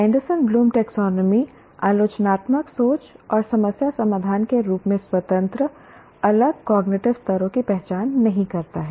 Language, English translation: Hindi, Anderson and Bloom taxonomy doesn't identify critical thinking and problem solving as an independent separate cognitive levels